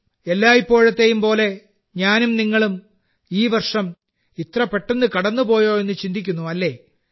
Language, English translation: Malayalam, And like every time, you and I are also thinking that look…this year has passed so quickly